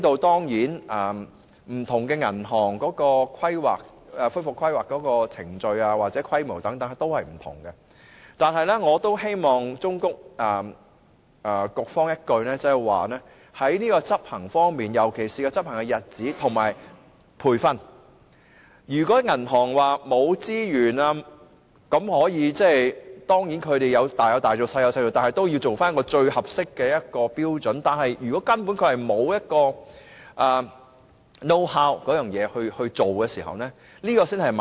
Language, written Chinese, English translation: Cantonese, 當然，不同銀行的恢復規劃程序或規模均有所不同，但我希望忠告局方，在執行方面，尤其是執行的日子和培訓，要因應銀行的資源，雖然可以多有多做、少有少做，但局方也應訂定一個最合適的標準，而如果銀行根本沒有這方面的認識，才是問題所在。, The recovery planning procedures or scales of different banks may differ but allow me to advise HKMA the resources of banks should be taken into account as far as implementation is concerned especially the implementation days and training . Although adjustments can be made HKMA should set a most suitable standard . The genuine problem is that some banks do not even have the know - how